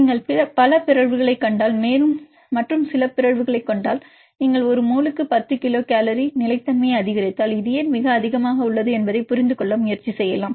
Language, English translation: Tamil, If you see the multiple mutations and see few mutations if you increase the stability by 10 kilocal per mole you can try to understand why this is a very high is it possible to introduce this type of mutations to some other proteins that will also increase the stability